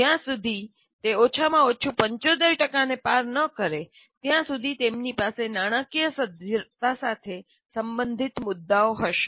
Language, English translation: Gujarati, Unless at least it crosses 75,000, they will have issues related to financial viability